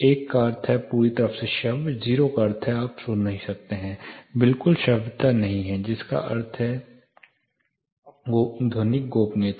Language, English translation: Hindi, One means perfectly audible, 0 is you know you cannot here, there is total in audibility which means acoustic privacy